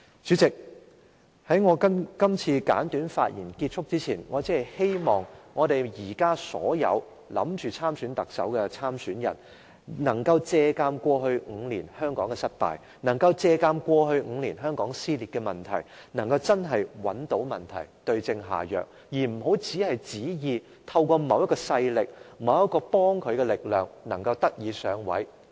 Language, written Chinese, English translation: Cantonese, 主席，在我結束今次簡短的發言前，我希望現時所有考慮參選特首的人，要借鑒香港過去5年的失敗經驗，找出香港過去5年的撕裂問題的成因，對症下藥，而不要只是寄望憑藉某種勢力，或某股力量來上位。, President before ending my brief speech now I hope all candidates who wish to take part in the Chief Executive Election this time around can learn from the failure of Hong Kong in the past five years so as to identify the causes of our social division over the past five years and administer the right remedy . They must not cherish any hope of winning the election by counting on any specific forces or power